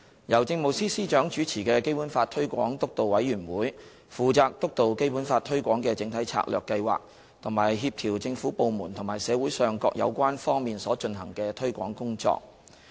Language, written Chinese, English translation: Cantonese, 由政務司司長主持的基本法推廣督導委員會，負責督導《基本法》推廣的整體策略計劃及協調政府部門和社會上各有關方面所進行的推廣工作。, Chaired by the Chief Secretary for Administration the Basic Law Promotion Steering Committee is responsible for steering the overall programme and strategy for promoting the Basic Law as well as coordinating the efforts of Government departments and various sectors in the society in taking forward the promotion work